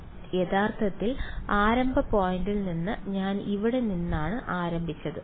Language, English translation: Malayalam, No where am I starting from what is the original starting point